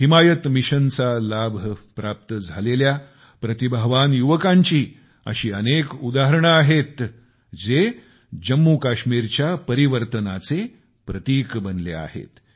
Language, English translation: Marathi, There are many examples of talented youth who have become symbols of change in Jammu and Kashmir, benefiting from 'Himayat Mission'